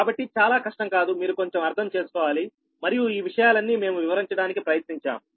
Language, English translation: Telugu, so not very difficult one, just you have to understand little bit and all these things are we have tried to explain, right